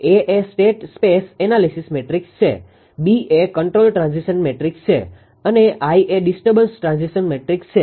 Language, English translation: Gujarati, And X A is as told you state transition matrix B is the control transition matrix and gamma is the disturbance transition matrix